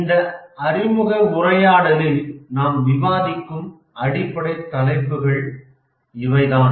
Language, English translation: Tamil, So, these are the basic topics we will discuss in this introductory lecture